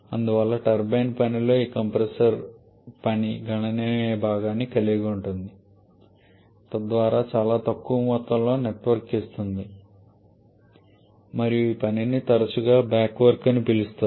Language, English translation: Telugu, And therefore the this compressor work can eat up a significant portion of the turbine work thereby giving a much lesser amount of network and this work is often referred to as a back work